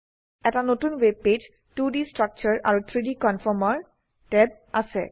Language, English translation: Assamese, A new web page with 2D Structure and 3D Conformer tabs, is seen